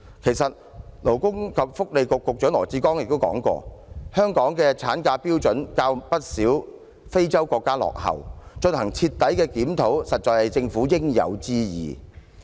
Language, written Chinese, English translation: Cantonese, 其實，勞工及福利局局長羅致光也說過，香港的產假標準較不少非洲國家落後，進行徹底檢討實在是政府應有之義。, In fact Dr LAW Chi - kwong Secretary for Labour and Welfare has once said the standard of maternity leave in Hong Kong is more backward than those in many African countries and it is the Governments responsibilities to conduct a thorough review in this regard